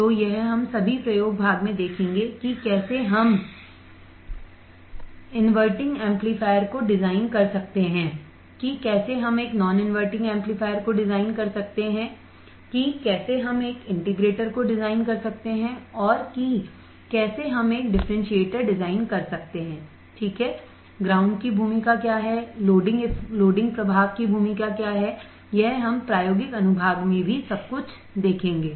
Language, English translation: Hindi, So, this we all will see in the experiment part also how we can design the inverting amplifier how we can design an non inverting amplifier how we can design integrator how you can design differentiator what is the role of ground what is the role of loading effect we will see everything in the experimental section as well